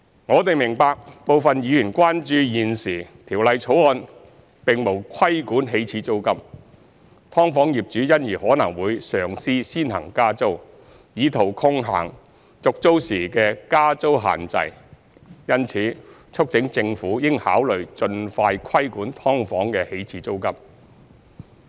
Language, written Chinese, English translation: Cantonese, 我們明白，部分議員關注現時《條例草案》沒有規管起始租金，"劏房"業主因而可能會嘗試先行加租，以圖抗衡續租時的加租限制，因此促請政府應考慮盡快規管"劏房"的起始租金。, We understand that some Members are concerned that as the Bill does not regulate the initial rent SDU landlords may try to increase the rent first in an attempt to counteract any proposed restrictions on the rent increase on tenancy renewal and therefore urge the Government to consider regulating the initial rent of SDUs as soon as possible